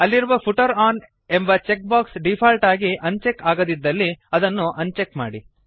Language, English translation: Kannada, Uncheck the Footer on checkbox if it is not unchecked by default